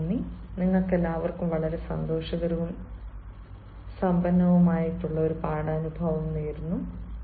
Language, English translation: Malayalam, i wish you all a very happy and enriching learning experience